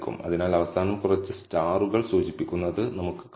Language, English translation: Malayalam, So, we can see few stars being indicated at the end